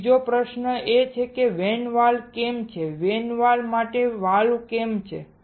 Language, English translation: Gujarati, Now another question is why there is a vent valve why there is a valve for the vent